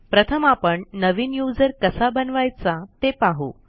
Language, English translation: Marathi, Let us first learn how to create a new user